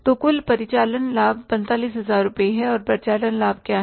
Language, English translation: Hindi, So operating profit in total is 45,000 rupees